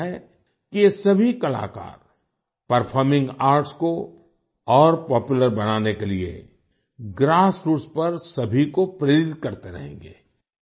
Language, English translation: Hindi, I hope that all these artists will continue to inspire everyone at the grassroots towards making performing arts more popular